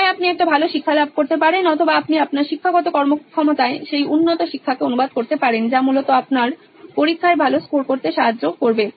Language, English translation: Bengali, Either you can have a better learning or you can translate that better learning into your academic performance which is basically scoring better in your exams